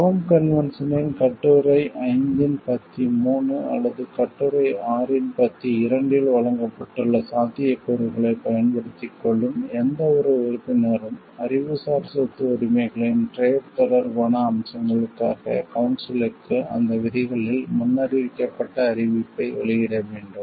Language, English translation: Tamil, Any member availing itself of the possibilities provided in paragraph 3 of the Article 5 or paragraph 2 of the Article 6 of the Rome convention shall make a notification as foreseen on those provisions to the council for trade related aspects of Intellectual Property Rights